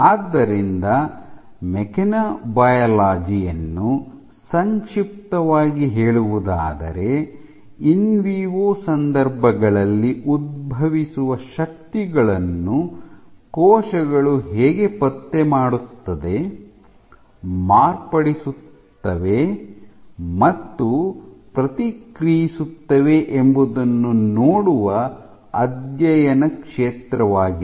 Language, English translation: Kannada, So, to summarize mechanobiology is a field of study that looks how cells detect, modify, and respond to forces that arise under in vivo circumstances